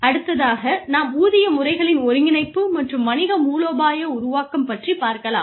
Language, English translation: Tamil, The other thing is, integration of pay systems and business strategy formulation